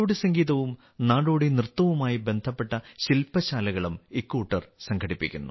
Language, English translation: Malayalam, These people also organize workshops related to folk music and folk dance